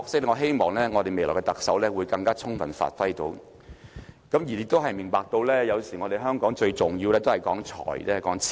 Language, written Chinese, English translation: Cantonese, 我希望未來特首會更充分發揮這個角色，亦希望他明白到，有時香港最重要的角色，都是說財、說錢。, I hope the future Chief Executive can more effectively play this role to the full . Moreover he or she should also understand that in some instances Hong Kongs essential role is about wealth and money